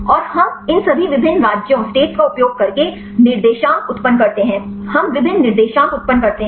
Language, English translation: Hindi, And we generate the coordinates using all these various possible states, we generate different coordinates